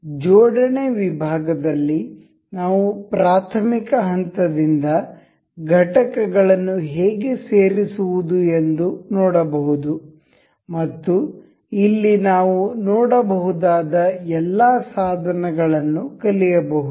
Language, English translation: Kannada, So, in assembly section we will learn to learn to learn from elementary to how to insert components and learn all of these tools that we have we can see over here